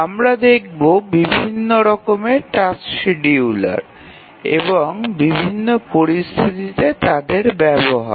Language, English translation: Bengali, We will look at different types of tasks schedulers that are used in different situations